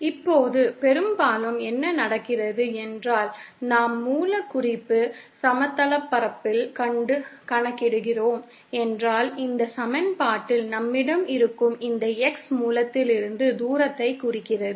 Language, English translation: Tamil, Now often what happens is that if we are calculating from the source reference plane, then this X that we have in this equation represents the distance from the source